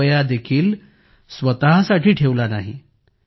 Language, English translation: Marathi, He did not keep even a single rupee with himself